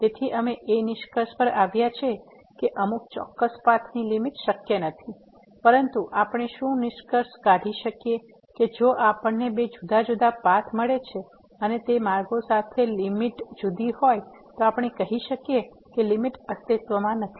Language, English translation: Gujarati, So, concluding that the limit along some particular path is not possible, but what we can conclude that if we find two different paths and along those paths, the limit is different then we can say that the limit does not exist